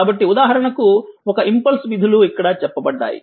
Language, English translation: Telugu, So, for example, an impulse functions say here just here